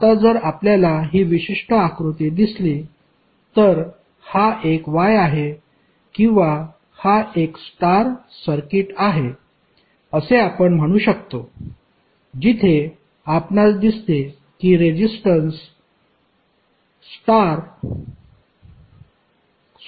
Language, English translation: Marathi, Now, if you see this particular figure, this is a Y or you could say, this is a star circuit where you see the resistances are connected in star form